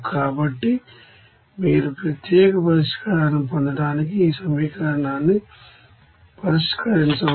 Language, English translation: Telugu, So, you can solve this equation to get the unique solution